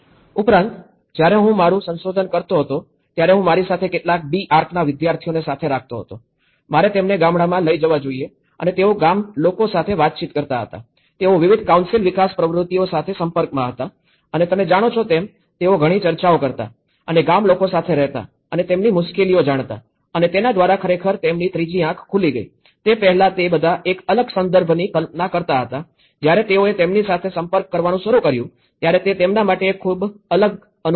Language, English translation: Gujarati, Arch students along with me, I should take them to the villages and they used to interact with the villagers, they used to interact with various council development activities and you know, the lot of discussions, living with the villagers and knowing their difficulties and that has really opened a third eye for them you know, before that they were all imagining a different context, when they started interacting with it, it was a very different experience for them